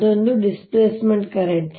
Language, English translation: Kannada, that is a displacement current